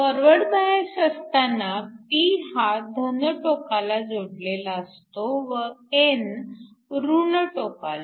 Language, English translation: Marathi, So, in the case of a forward bias, p is connected to positive and n is connected to negative